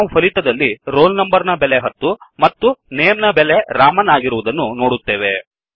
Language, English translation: Kannada, We see in the output that the roll number value is ten and name is Raman